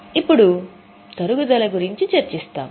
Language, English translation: Telugu, Now we will discuss about depreciation